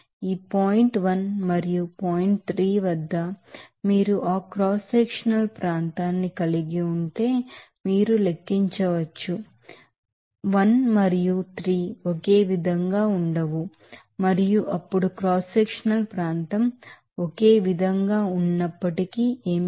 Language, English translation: Telugu, So, u3 can be calculated, if you are having that cross sectional area at this point 1 and 3 are not same and then what is that even if there is a cross sectional area same